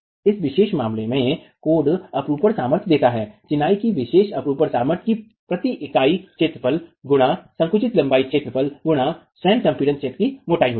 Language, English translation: Hindi, So code in this particular case gives the sheer strength, the characteristic shear strength of masonry as being the shear strength per unit area into the length of the compressed zone into thickness, the area of the compressed zone itself